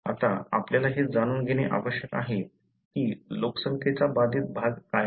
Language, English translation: Marathi, Now, we need to know what is the affected portion of the population